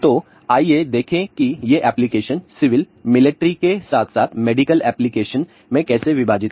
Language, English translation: Hindi, So, let us see; how these applications are divided into civil military as well as medical application